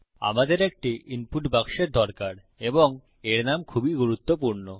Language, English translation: Bengali, Were going to need an input box and its name is very important